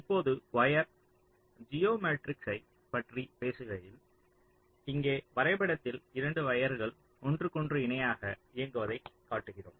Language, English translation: Tamil, so we refer to the diagram here where we show two wires running parallel to each other